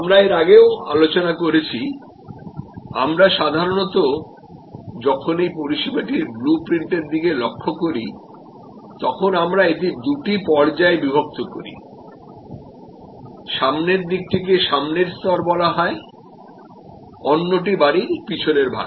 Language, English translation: Bengali, We have also discussed earlier, that normally when we look at this service blue print, we divide it in two stages, the front side is called the front stage, this is the back of the house